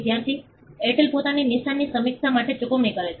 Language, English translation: Gujarati, Student: The Airtel pay for the review of the own mark